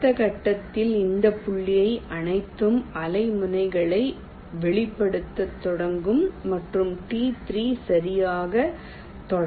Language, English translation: Tamil, in the next step, all these points will start wavepoints and t three will be touched right